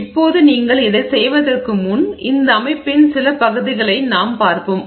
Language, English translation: Tamil, So now before you do this, let's see a few parts of this system here